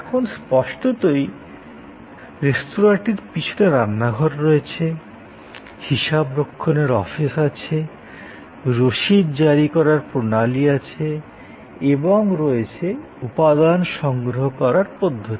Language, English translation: Bengali, Now; obviously, the restaurant has at the back, the kitchen, it is accounting office, it is billing system and it is material procurement system